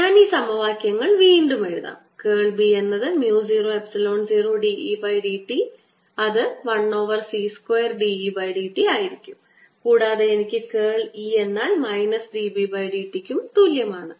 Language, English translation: Malayalam, i will write these equation again: curl of b is plus mu, zero, epsilon, zero, d, e, d t, which is one over c square d, e, d t, and i have curl of e, which is equal to minus d, b, d t